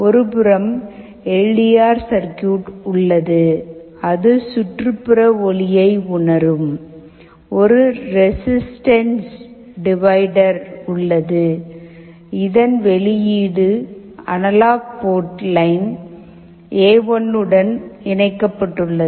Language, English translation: Tamil, On one side we have the LDR circuit that will be sensing the ambient light; there is a resistance divider the output of which is connected to the analog port line A1